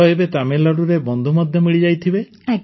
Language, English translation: Odia, So now you must have made friends in Tamil Nadu too